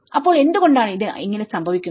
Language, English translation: Malayalam, So, why does it happen like this